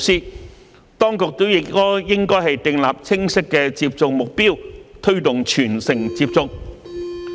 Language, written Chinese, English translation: Cantonese, 此外，當局亦應訂立清晰的接種目標，推動全城接種。, In addition the authorities should set clear goal for the vaccination campaign to promote vaccination for all